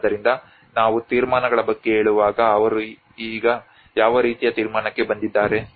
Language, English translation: Kannada, So what kind of conclusions they have come up with now when we say about the conclusions